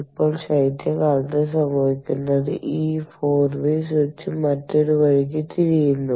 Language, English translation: Malayalam, ok, now, in winter, what happens is this four way switch turns the other way